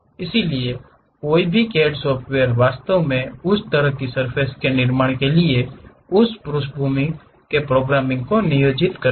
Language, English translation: Hindi, So, any CAD software actually employs that background programming, to construct such kind of surfaces